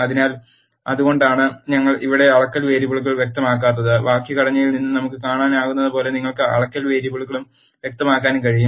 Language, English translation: Malayalam, So, that is why we did not specify measurement variables here, you can also specify the measurement variables, as we can see from the syntax